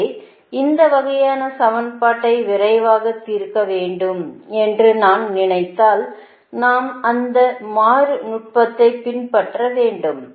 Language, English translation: Tamil, so if we i mean one to solve fast this kind of equation, we have to follow that iterative technique right, that how to solve this